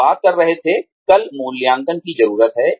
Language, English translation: Hindi, We were talking about, needs assessment, yesterday